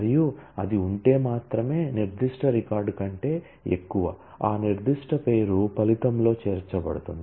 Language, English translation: Telugu, And only if that is greater than that particular record, that particular name will be included in the result